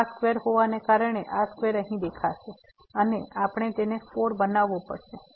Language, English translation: Gujarati, So, this is square because of the square this square will appear here, and we have to make this 4